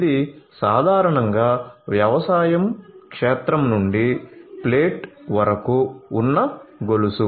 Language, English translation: Telugu, This is typically the chain from the agricultural field to the plate